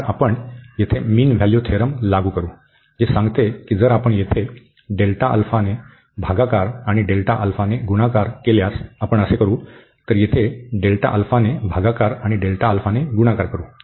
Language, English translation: Marathi, So, we will apply the mean value theorem here, which says that if we divide here by delta alpha and multiply by delta alpha, so we can do so, so divide by delta alpha and then multiply by delta alpha here